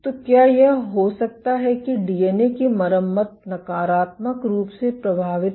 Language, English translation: Hindi, So, can it be that DNA repair is impacted negatively